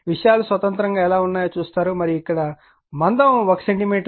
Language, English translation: Telugu, Independently will see how things are and here this is your thickness of this is 1 centimeter